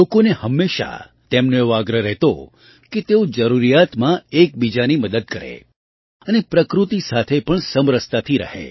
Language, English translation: Gujarati, She always urged people to help each other in need and also live in harmony with nature